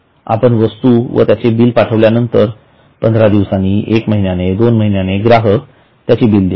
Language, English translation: Marathi, We will sell the goods, we will send the bill after 15 days, one month, two month, customer will make the payment